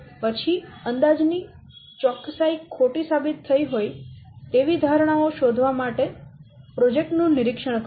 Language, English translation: Gujarati, Then monitor the project to detect when assumptions that turned out to be wrong jeopardize the accuracy of the estimate